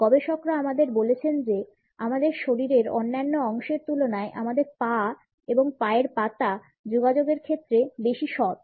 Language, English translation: Bengali, Researchers have told us that our legs and feet are more honest in communication in comparison to other body parts of us